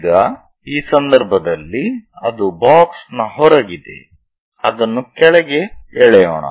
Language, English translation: Kannada, Now, in this case, it is outside of the box, let us pull it down